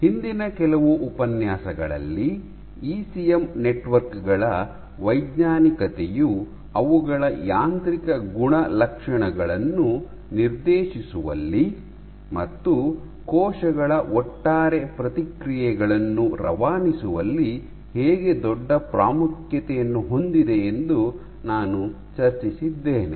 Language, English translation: Kannada, So, in the last few lectures I had discussed how rheology of ECM networks has a huge importance in dictating their mechanical properties, and in shipping the overall responses of the cells